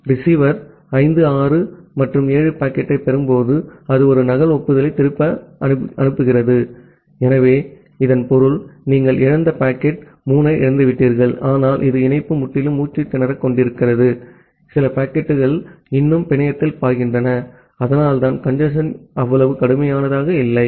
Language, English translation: Tamil, So, when the receiver is receiving packet 5, 6, and 7, it is sending back a duplicate acknowledgement, so that means, you have lost possibly lost packet 3, but it is not like that this the link is entirely getting choked, some packets are still flowing in the network, so that is why the congestion is not that much severe